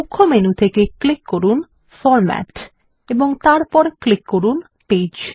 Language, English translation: Bengali, From the Main menu, click on Format and click Page